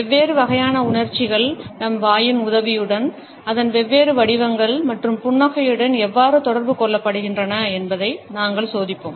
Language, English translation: Tamil, We would check how different type of emotions are communicated with the help of our mouth, different shapes of it, as well as smiles